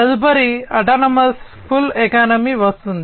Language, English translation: Telugu, Next comes autonomous pull economy